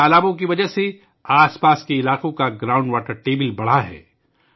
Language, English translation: Urdu, Due to these ponds, the ground water table of the surrounding areas has risen